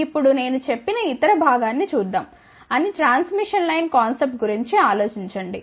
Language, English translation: Telugu, Now, let us just look at the other part which I said think about a transmission line concept